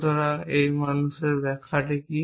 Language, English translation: Bengali, So, what is this man interpretation